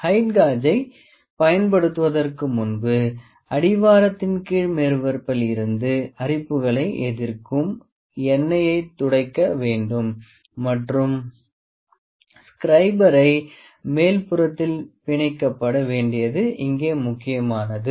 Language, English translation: Tamil, Now before using the height gauge we need to wipe of the anti corrosive oil from the bottom surface of the base and the scriber mount it is important here